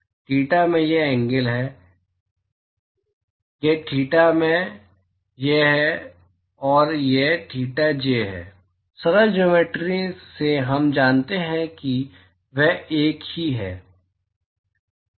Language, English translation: Hindi, Theta i is this angle, this is theta i and this is theta j, by simple geometry we know that they are one and same